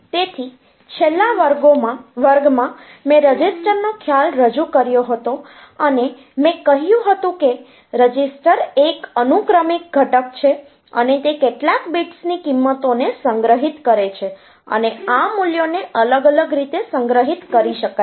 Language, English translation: Gujarati, So, in the last class I have introduced the concept of registers and I said that a register it is a sequential element and it stores the values of some bits and these values can be stored in different ways it you know